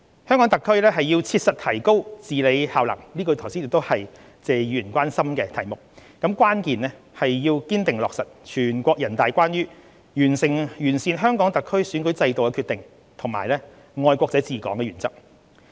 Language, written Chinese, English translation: Cantonese, 香港特區要切實提高治理效能，這是剛才謝議員關心的題目，關鍵是堅定落實全國人大關於完善香港特區選舉制度的決定及"愛國者治港"的原則。, To enhance governance capability which is also the topic Mr Paul TSE was of concern just now it is pivotal for HKSAR to dutifully implement the decision of the National Peoples Congress to improve the electoral system and the principle of patriots administering Hong Kong